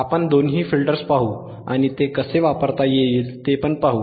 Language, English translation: Marathi, We will see both the filters and we will see how it can be used